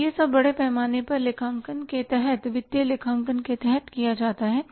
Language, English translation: Hindi, So, this all is done under the accounting and largely under the financial accounting